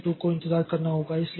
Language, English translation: Hindi, So, C2 has to wait